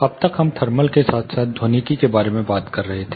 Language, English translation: Hindi, So far we have been talking about thermal as well as acoustics